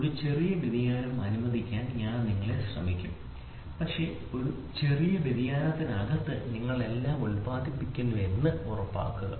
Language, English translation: Malayalam, I will try to allow you to have a small variation, but please make sure you produce everything within that small variation